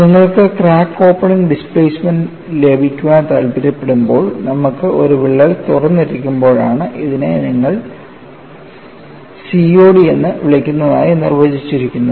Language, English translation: Malayalam, Then we moved on to finding out, what is crack opening displacement, and when you want to get the crack opening displacement, what we define is, when you have the crack has opened, this you call it as COD